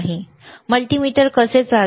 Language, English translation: Marathi, How multimeter operates